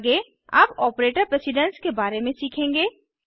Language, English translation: Hindi, Next, let us learn about operator precedence